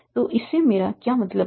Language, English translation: Hindi, So what do I mean by that